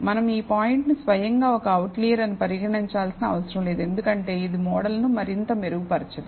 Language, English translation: Telugu, We need not treat this point as an outlier by itself, because it does not improvise the model any further